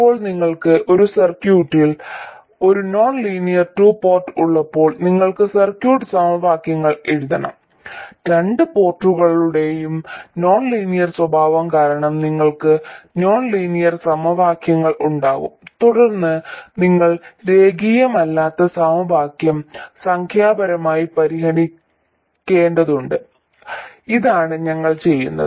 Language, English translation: Malayalam, Now when you have a nonlinear 2 port embedded in a circuit you have to write the circuit equations and you will have nonlinear equations because of the nonlinear nature of the 2 port and then you have to solve the nonlinear equation numerically